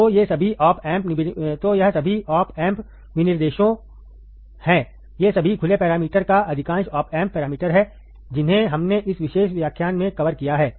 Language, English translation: Hindi, So, these are all the opamp specifications, these are all the open parameters or most of the opamp parameters that we have covered in this particular lecture, alright